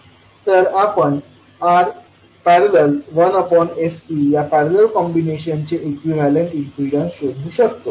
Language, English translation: Marathi, So we can find out the equivalent impedance of this particular parallel combination